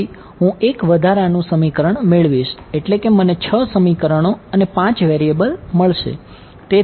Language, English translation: Gujarati, So, I will get one extra equation I will get six equation and five variable